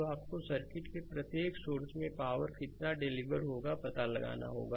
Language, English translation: Hindi, So, you have to find out the power delivered by each source of the circuit right